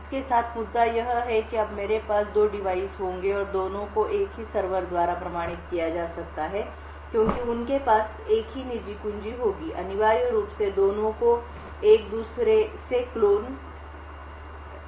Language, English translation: Hindi, The issue with this is that now I would have two devices, and both can be authenticated by the same server because they would have the same private key in them, essentially both are clones of each other